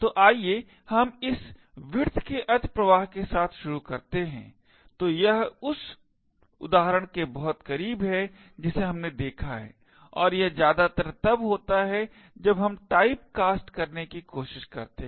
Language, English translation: Hindi, So, let us start with widthness overflow, so this is very close to the example that we have seen and it is mostly related to when we try to do typecasting